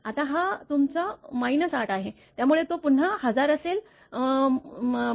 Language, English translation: Marathi, Now, this is your minus 8, so it will be 1000 again minus 1